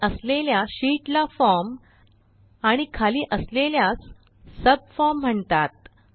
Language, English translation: Marathi, The one above is called the form and the one below is called the subform